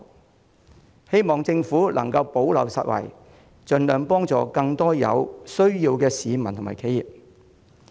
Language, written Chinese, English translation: Cantonese, 我希望政府能夠補漏拾遺，盡量協助更多有需要的市民和企業。, I hope the Government can plug the gaps and assist more members of the public and enterprises in need as far as practicable